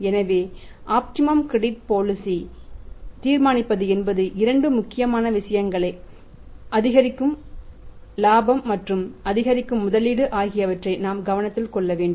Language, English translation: Tamil, So, it means deciding the optimum credit policy we should take into consideration two important things incremental profit and the incremental investment